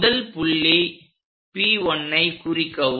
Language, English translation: Tamil, Locate that point as P1